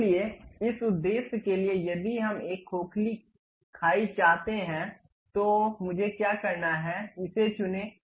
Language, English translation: Hindi, So, for that purpose, if we would like to have a hollow gap, what I have to do, pick this one